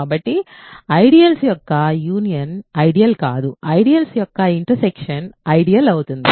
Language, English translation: Telugu, So, union of ideals is not an ideal, intersection of ideals is an ideal